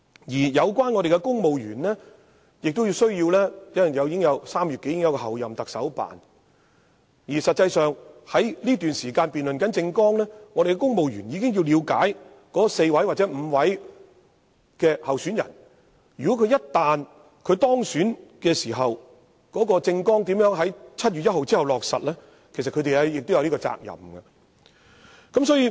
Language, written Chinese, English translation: Cantonese, 由於在3月時已將要成立候任特首辦公室，在這段辯論政綱的期間，公務員實際上已需要了解4位或5位主要候選人的政綱，並研究他們一旦當選時，如何在7月1日後落實其政綱，他們其實有責任這樣做。, Also as the Office of the Chief Executive - elect will be established in March civil servants must in fact start working in this present period of political platform debates seeking to grasp the political platforms of four or five major candidates and exploring how their political platforms can be implemented after 1 July no matter who is elected . This is in fact their duty